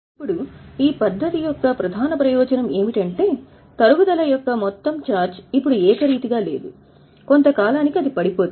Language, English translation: Telugu, Now, the main advantage of this method is that the total charge of depreciation is now not uniform